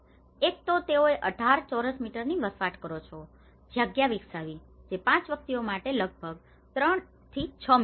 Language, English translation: Gujarati, One is they developed a living space of 18 square meters, which is about 3*6 meters for up to 5 individuals